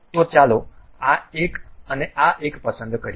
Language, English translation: Gujarati, So, let us pick this one and this one